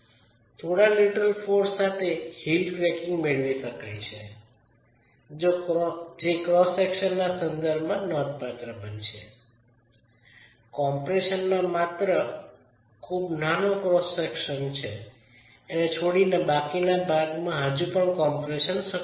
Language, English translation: Gujarati, So, with a little bit of lateral force you can get the heel cracking that is going to be significant enough with respect to the cross section, leaving only a very small cross section in compression, still active in compression